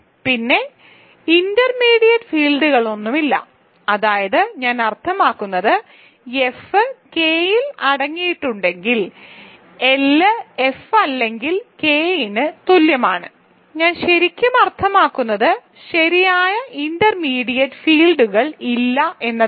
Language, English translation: Malayalam, Then there are no intermediate fields, what I mean is that is, if F is contained in L is contained in K then L is equal to F or L equal to K, so what I really mean is that there are no proper intermediate fields